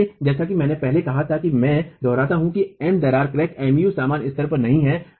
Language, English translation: Hindi, So, as I said earlier I repeat that MC crack and MU are not at the same level